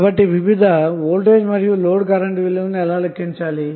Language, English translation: Telugu, So how you will calculate the different load voltage and load current values